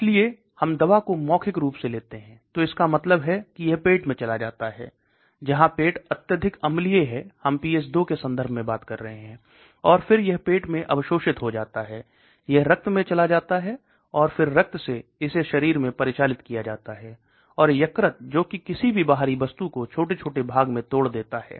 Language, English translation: Hindi, So we take the drug orally, so that means it goes into the stomach where the stomach is highly acidic we are talking in terms of pH=2, and then it gets absorbed into the stomach, it goes to the blood and then from the blood it gets circulated into the body, and the liver which tries to degrade whatever a foreign objects there